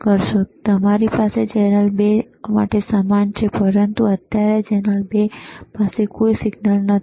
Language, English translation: Gujarati, tThen we have similarly for channel 2, but right now channel 2 has no signal